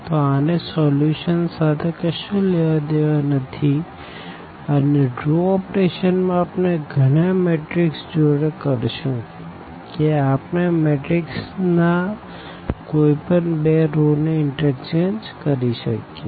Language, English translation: Gujarati, So, it has nothing to do with the solution and that exactly in terms of the element row operations we will be doing with the matrix that we can change we can interchange any two rows of the matrix